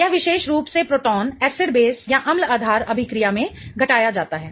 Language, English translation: Hindi, This particular proton gets abstracted in the acid based reaction